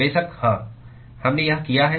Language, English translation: Hindi, Of course, yes, we have done this